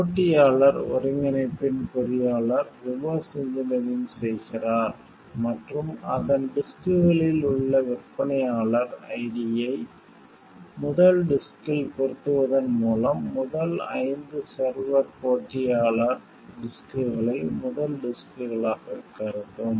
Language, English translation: Tamil, The engineer of the competitor incorporation, does reverse engineering and discovers that by making the vendor ID on its disks match on the first disk, the first five server will treat competitor disks as first disks